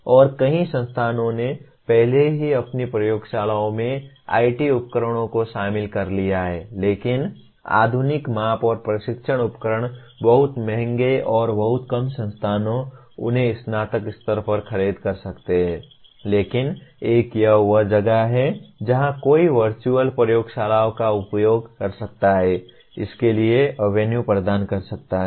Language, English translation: Hindi, And many institutions have already incorporated IT tools into their laboratories but modern measurement and testing tools are very expensive and very few institutions can afford them at undergraduate level but one can this is where one can use the virtual laboratories, can provide an avenue for this